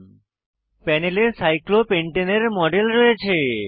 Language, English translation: Bengali, We have a model of cyclopentane on the panel